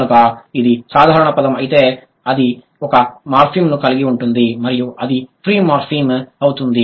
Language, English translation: Telugu, So, if the word has only one morphem, it is a free morphem and that is a simple word